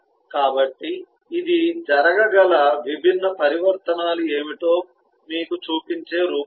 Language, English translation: Telugu, so this is just an outline showing you what are the different transitions that can happen